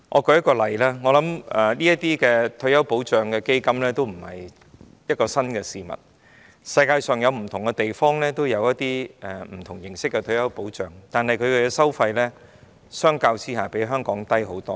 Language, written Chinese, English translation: Cantonese, 舉例而言，我相信退休保障基金已非新事物，世界各地均有不同形式的退休保障，但相比之下，其收費遠低於香港。, For example I believe retirement protection funds are not a new thing and places around the world have different forms of retirement protection . But in comparison their fees are much lower than that in Hong Kong